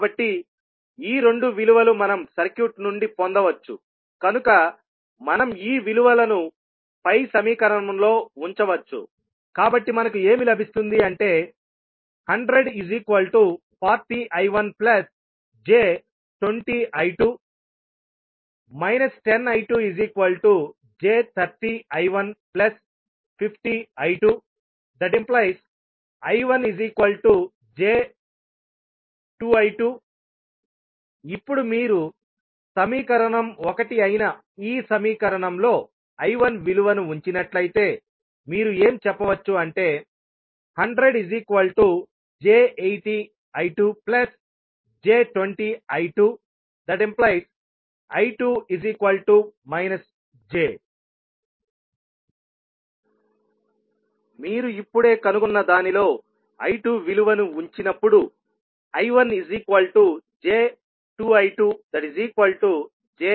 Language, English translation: Telugu, So, these two values we can get from the circuit, so we can put these values in the above equation, so we get 100 equal to 40 I1 minus, plus J20 I2 and when we put the value of V2 as minus 10 I2 in the second equation and simplify we get I1 is nothing but equal to J times to I2